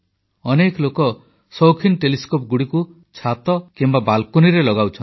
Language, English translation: Odia, Many people install amateur telescopes on their balconies or terrace